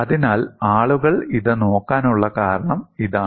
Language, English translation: Malayalam, So, this is the reason people have looked at it